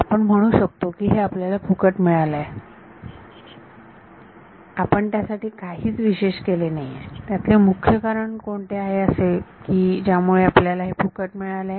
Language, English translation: Marathi, So, we can say we got this for free, we did not do anything special; what was the key reason we got this for free